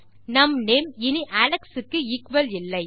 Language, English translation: Tamil, Our name doesnt equal Alex anymore